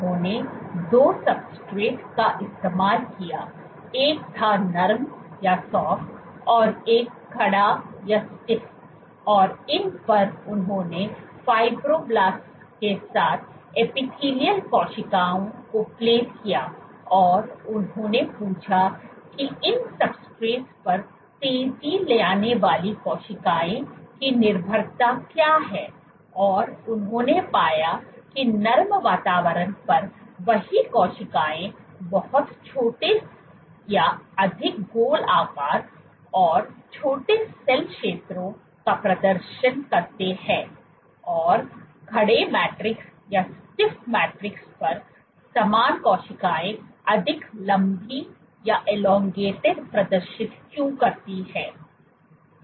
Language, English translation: Hindi, He used 2 substrates one was Soft and one was Stiff, and on these he plated Fibroblasts as well as Epithelial cells and he asked that what is the dependence of cells speeding on these substrates and what he found was the same cells on a soft environment, exhibit much smaller or more rounded, and exhibit smaller cell areas why the same cells on a stiff matrix tend to exhibit much more elongated